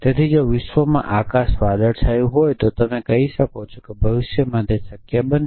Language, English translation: Gujarati, So, if the world is if the sky cloudy then you can say it will possible easy in essentially in the future